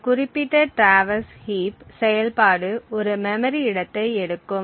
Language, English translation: Tamil, So, this particular traverse heat function takes a memory location